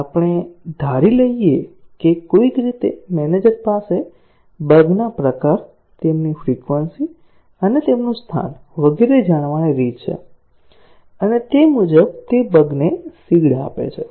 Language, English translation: Gujarati, Now, let us assume that, somehow, the manager has a way to know the type of bugs, their frequency, and their location and so on and he seeds the bug accordingly